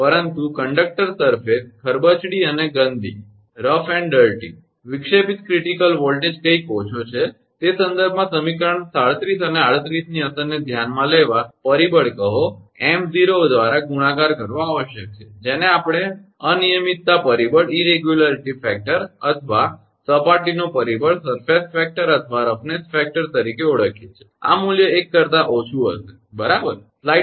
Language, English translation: Gujarati, But conductor surface is rough and dirty, the disruptive critical voltage is somewhat less, see in that case to consider the effect in equation 37 and 38 must be multiplied by factor call m0, known as sometimes we call irregularity factor or surface factor or roughness factor, this value will be less than 1, right